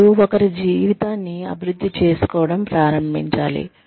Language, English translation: Telugu, Then, one needs to start, developing one's life